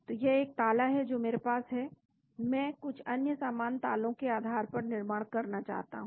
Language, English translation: Hindi, So, there is one lock I have I want to build based on some other similar lock